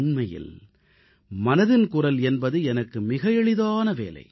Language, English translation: Tamil, Actually, Mann Ki Baat is a very simpletask for me